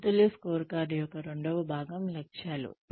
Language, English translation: Telugu, The second part of a balanced scorecard is goals